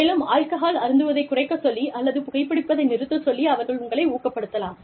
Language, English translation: Tamil, They could even motivate you, to decrease your alcohol intake, or motivate you, to stop smoking